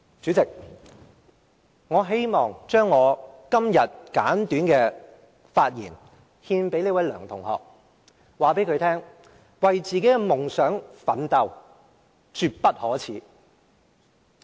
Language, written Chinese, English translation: Cantonese, 主席，我希望將今天的簡短發言獻給這位梁同學，並告訴他為自己的夢想奮鬥絕不可耻。, President I would like to dedicate my brief speech today to this student surnamed LEUNG and tell him that it is never a shame to work hard to pursue ones dream